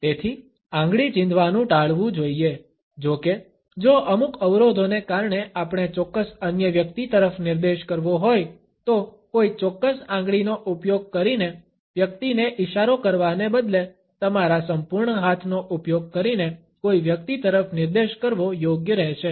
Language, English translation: Gujarati, So, finger pointing should be avoided; however, if because of certain constraints we have to point at certain other person, it would be still appropriate to point at a person using your complete hand, instead of pointing a person using a particular finger